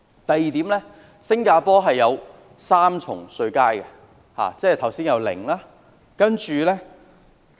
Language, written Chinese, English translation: Cantonese, 第二，新加坡有3級稅階，包括剛才所說的 0%。, Second there are three tax bands in Singapore including the tax rate of 0 % I referred to just now